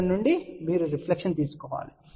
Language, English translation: Telugu, From here you take the reflection